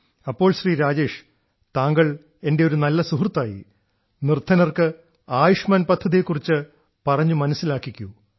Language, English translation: Malayalam, So Rajesh ji, by becoming a good friend of mine, you can explain this Ayushman Bharat scheme to as many poor people as you can